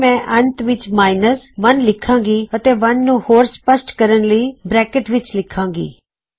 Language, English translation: Punjabi, So I will put 1 at the end and put 1 in brackets for better legibility